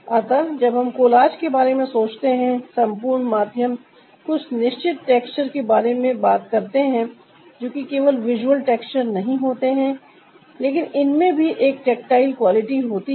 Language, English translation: Hindi, so when we think of collarge, the whole medium talks about certain texture which is not just the visual texture but it its also has a tactical quality in it